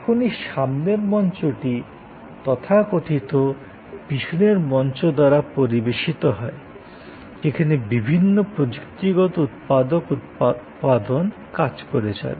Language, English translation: Bengali, And that front stage is served by the so called back stage, where the different technical production elements are operating